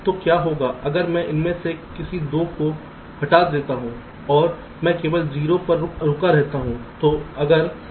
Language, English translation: Hindi, so what if i delete any two of them and and i keep only a stuck at zero